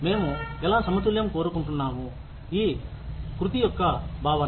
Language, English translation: Telugu, How we want to balance, the notion of equity